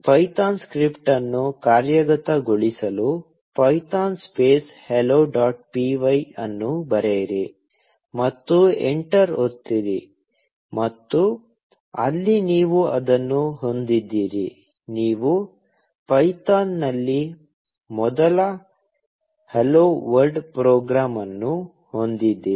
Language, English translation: Kannada, To execute the python script, just write python space hello dot py, and press enter, and there you have it; you have the first hello world program in python